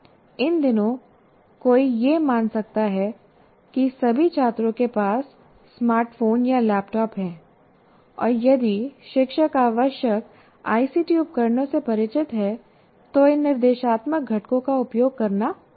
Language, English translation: Hindi, But if you, these days, assuming that all students have smartphones or laptops, and then the teacher is familiar with a particular ICT tool, they can readily be used